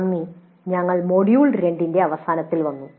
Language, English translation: Malayalam, Thank you and we come to the end of module 2